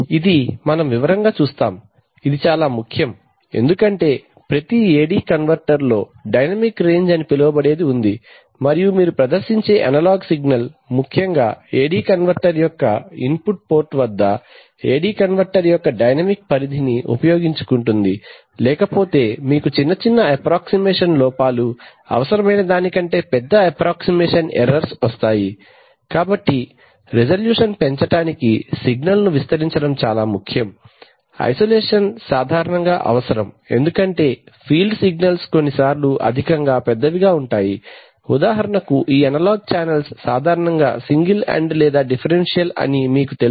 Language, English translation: Telugu, so what we do in signal conditioning is, go to amplification, is very important because as we will see detail, is important because every AD converter has what is called is dynamic range and it is important that the analog signal that you are sort of presenting at the input port of the AD converter, is utilizes the dynamic range of the ad converter otherwise you are going to have approximation errors, larger approximation errors than are necessary, so it is important to amplify the signal to increase resolution, isolation is typically required because the field signals can be sometimes be at high, big, for example you know these analog channels generally come either as single ended or as differential